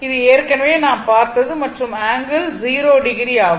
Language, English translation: Tamil, We have seen before and it is angle is 0 degree